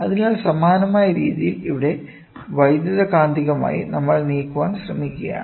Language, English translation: Malayalam, So, in the similar way here it is electromagnetically, we are trying to move